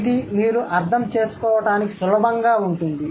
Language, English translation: Telugu, This would be easier for you to understand